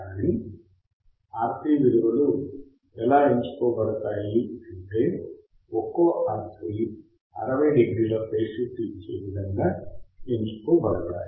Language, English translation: Telugu, But the values are provided such that one RC provides a phase shift of 60 degrees